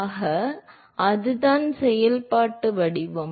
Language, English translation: Tamil, So, that is the functional form